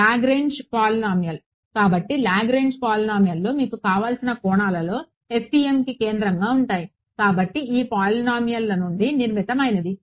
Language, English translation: Telugu, Lagrange polynomials; so, Lagrange polynomials are central to FEM in as many dimensions as you want; everything is sort of built out of these Lagrange polynomials